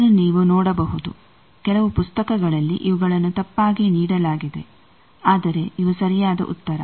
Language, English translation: Kannada, This is you can see in some books these are wrongly given, but these are correct answer